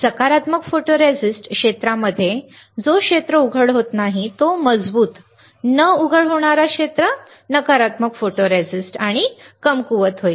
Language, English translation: Marathi, In positive photoresist area not exposed stronger, negative photoresist area not exposed will be weaker